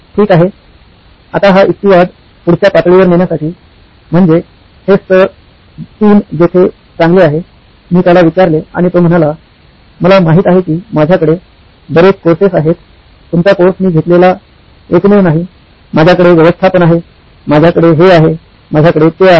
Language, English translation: Marathi, Okay, now to take this rationale the next level, so this is the level 3 where well, I asked him and he said well, I know I have lots of courses, your course is not the only one I take, I have management, I have this, I have that